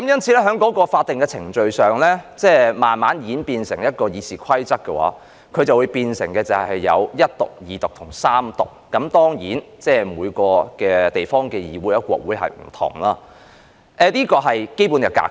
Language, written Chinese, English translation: Cantonese, 這些法定程序在我們的《議事規則》中，便演變成首讀、二讀及三讀；當然，每個地方的議會或國會做法不同，但這是基本格式。, In our RoP the statutory procedures are translated into the First Reading the Second Reading and the Third Reading . Of course the parliament or congress of each place has its own practices but the above is the basic format